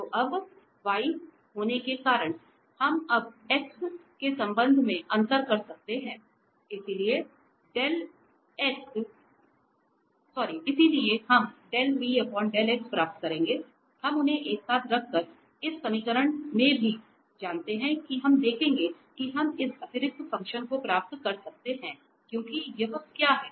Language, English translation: Hindi, So, now having v, we can now differentiate with respect to x, so we will get del v over del x and del v over del x, we also know from this equation by putting them together we will observe that we can get this extra function because what is this